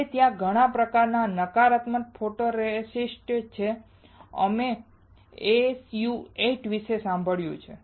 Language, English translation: Gujarati, Now, there are several kinds of negative photoresist and we have heard about SU 8